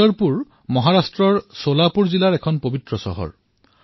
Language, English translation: Assamese, Pandharpur is a holy town in Solapur district in Maharashtra